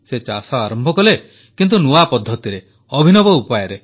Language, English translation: Odia, He started farming, albeit using new methods and innovative techniques